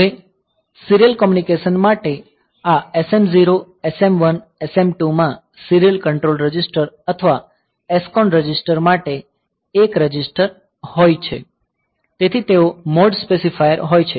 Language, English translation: Gujarati, Now, for serial communication; so, there is a register for serial control register or SCON register in this SM0, SM1, SM2; so, they are the mode specifier